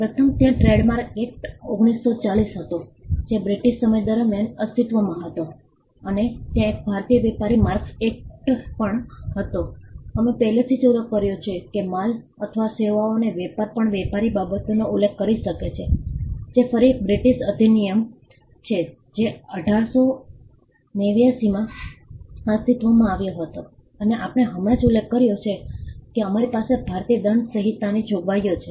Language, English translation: Gujarati, First, there was the Trademarks Act, 1940 which existed during the British time and there was also an Indian Merchandise Marks Act, we had already mentioned that trade in goods or services could also refer to merchandise; which again is a British act which existed in 1889, since 1889 and as we have just mentioned we had provisions of the Indian Penal code